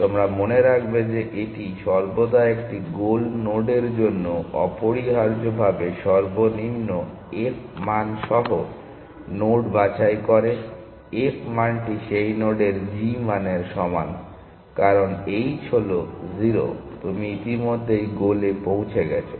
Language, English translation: Bengali, You remember that it always picks the node with the lowest f value essentially for a goal node the f value is equal to the g value of that node, because h is 0 you already at the goal